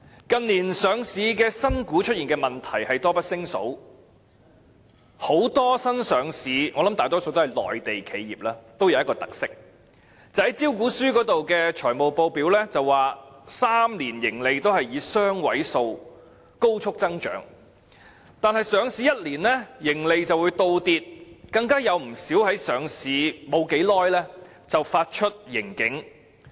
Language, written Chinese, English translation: Cantonese, 近年上市新股出現的問題多不勝數，很多新上市企業——相信大多屬內地企業——都有一個特色，就是在招股書的財務報表中表示最初3年的盈利都會以雙位數高速增長，但在上市後一年內，盈利便會倒跌，有不少更在上市後不久便發出盈警。, New shares listed in Hong Kong in recent years are riddled with problems . Many new enterprises listed in Hong Kong―most of them I believe are Mainland enterprises―share a common characteristic and that is while a projection is made in the financial statements of their prospectus for a rapid and double - digit growth in profits in the first three years a drop in profits is on the contrary often recorded within one year after their listing and quite a number of them have even issued a profit warning soon after their listing